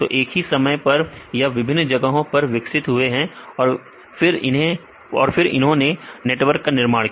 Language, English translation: Hindi, So, they same time they developed different places, then they form the network